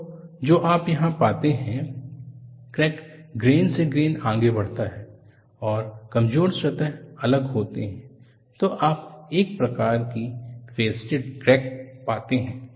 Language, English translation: Hindi, So, what you find here is, the crack advances grain by grain and the weak planes are different; so, you find a faceted type of crack